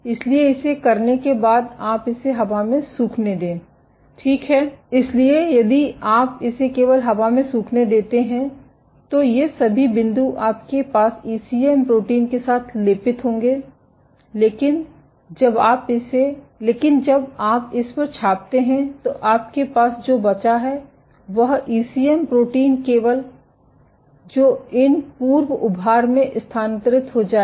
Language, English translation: Hindi, So, as a consequence if you let it air dry only these points all these points will be coated with your ECM protein, but when you stamp it then what you will be left with is the ECM protein only at these ex protrusions will get transferred